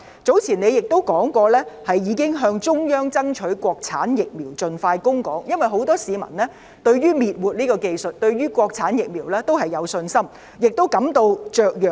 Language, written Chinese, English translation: Cantonese, 早前她亦表示，已經向中央爭取國產疫苗盡快供港，因為很多市民對於滅活技術及國產疫苗均有信心，也感到雀躍。, Earlier she also said that she had asked the Central Authorities to promptly supply Hong Kong with Mainland - manufactured vaccines as soon as possible because many people have confidence in both the inactivation technology and Mainland - manufactured vaccines and are delighted about this